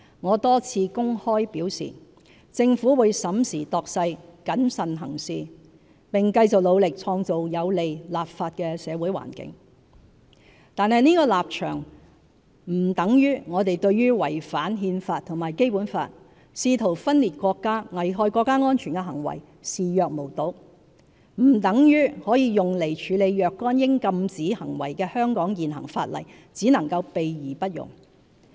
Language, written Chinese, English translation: Cantonese, 我多次公開表示，政府會審時度勢，謹慎行事，並繼續努力創造有利立法的社會環境，但這立場並不等於我們對違反憲法和《基本法》，試圖分裂國家，危害國家安全的行為視若無睹，也不等於可用來處理若干應禁止行為的香港現行法例只能"備而不用"。, I have stated publicly for a number of times that the Government will carefully consider all relevant factors act prudently and continue its efforts to create a favourable social environment for the legislative work . Yet this stance does not suggest that we will turn a blind eye to the acts of violating the Constitution and the Basic Law attempting to secede from the country and endangering national security; or our existing laws will be put aside and never be applied to deal with certain acts that should be prohibited